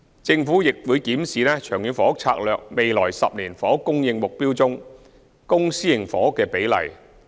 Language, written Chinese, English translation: Cantonese, 政府亦會檢視《長遠房屋策略》未來10年房屋供應目標中的公私營房屋新供應比例。, The Government will also review the new ratio of public to private housing supply in the future 10 - year housing supply target under the Long Term Housing Strategy LTHS